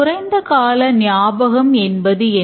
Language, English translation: Tamil, , that's in the short term memory